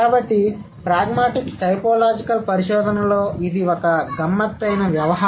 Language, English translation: Telugu, So, that's a tricky affair in pragmatic typological research